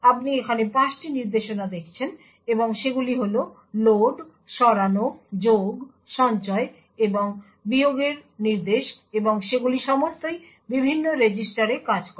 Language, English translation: Bengali, So what you see here is 5 instructions they are the load, move, add, store and the subtract instruction and all of them work on different set of registers